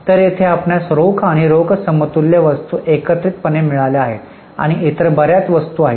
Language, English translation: Marathi, So, here you have got cash and cash equivalent items taken together and there are several other items